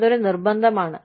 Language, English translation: Malayalam, That is a mandatory requirement